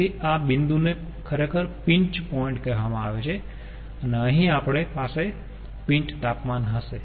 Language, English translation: Gujarati, so this point actually is called the pinch point and here we will have the pinch temperature